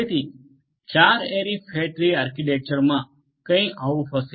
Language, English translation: Gujarati, So, in a 4 ary fat tree architecture it will be something like this